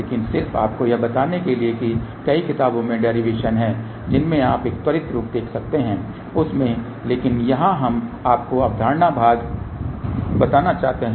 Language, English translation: Hindi, But just to tell you the derivations are there in many of the books you can have a quick look into that , but here we want to tell you the concept part